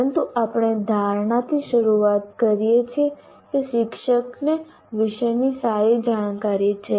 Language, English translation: Gujarati, But we start with the assumption that the teacher has a good knowledge of subject matter